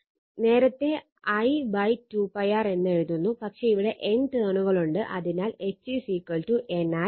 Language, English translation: Malayalam, Earlier you are writing I upon 2 pi r, but here you have N number of turns, so H is equal to N I upon 2 pi R